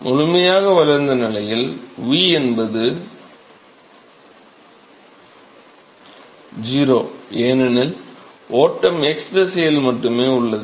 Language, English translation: Tamil, Fully developed regime; v is 0, because the flow is only in the x direction